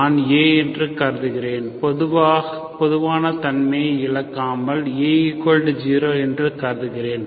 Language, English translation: Tamil, So without loss of generality, assume that A equal to 0